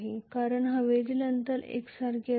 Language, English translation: Marathi, Because the air gap is uniform